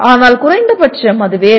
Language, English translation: Tamil, But at least it is different